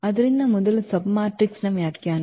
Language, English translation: Kannada, So, first the definition here of the submatrix